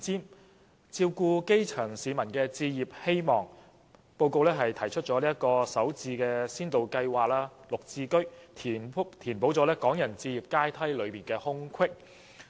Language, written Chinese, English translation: Cantonese, 為了照顧基層市民的置業希望，施政報告提出首置先導計劃和"綠表置居計劃"，以填補港人置業階梯的空隙。, In order to meet the aspiration of the public for home ownership the Policy Address proposed a Starter Homes Pilot Scheme and a Green Form Subsidised Home Ownership Scheme in order to fill a gap on the home ownership ladder for Hong Kong people